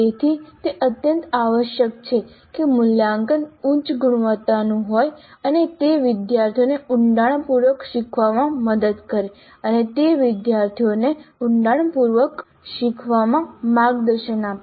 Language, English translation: Gujarati, So it is absolutely essential that the assessment is of high quality and it should help the students learn deeply and it should guide the students into learning deeply